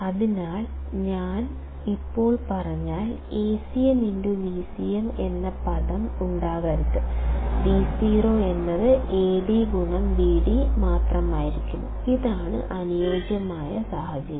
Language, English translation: Malayalam, So, if I just say, ideally the term Acm into Vcm should not be there and Vo should be nothing but just Ad into Vd; this is the ideal situation